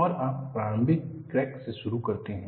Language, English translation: Hindi, And you start with the initial crack